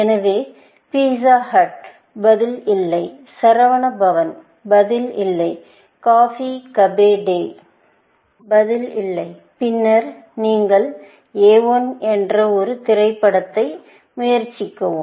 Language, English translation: Tamil, So, pizza hut; answer is no, Saravanaa Bhavan; the answer is no, Cafe Coffee Day; the answer is no, essentially; then, you try one more movie